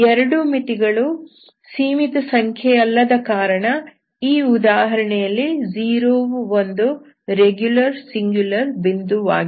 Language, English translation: Kannada, So both the limits are not finite, since this is the case, 0 is not a regular singular point